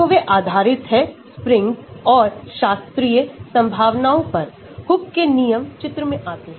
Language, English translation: Hindi, So, they are based on the springs and classical potentials, Hooke’s law come into picture